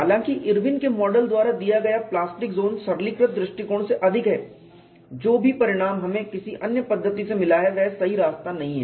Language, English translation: Hindi, Though the plastic zone given by Irwin’s model is longer than the simplistic approach, whatever the result that we have got by another methodology is no way of